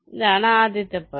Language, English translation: Malayalam, this is the first step